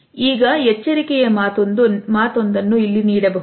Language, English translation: Kannada, Now, a word of caution can be given over here